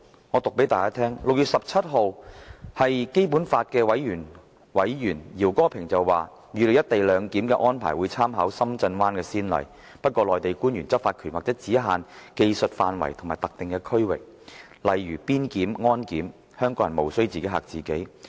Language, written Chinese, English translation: Cantonese, 我複述基本法委員會委員饒戈平在6月17日的說話，他當時預計"一地兩檢"安排會參考深圳灣先例，不過內地官員執法權或只限於技術範圍及特定區域，例如邊檢、安檢，香港人無須"自己嚇自己"。, And let me also quote the words said on 17 June by RAO Geping a member of HKSAR Basic Law Committee . He foresaw that co - location clearance at West Kowloon Station would draw on the precedent case in Shenzhen Bay Port but Mainland personnels law enforcement powers would probably be restricted to a specific site and technical matters such as immigration and security checks . He asked Hong Kong people not to be over - worried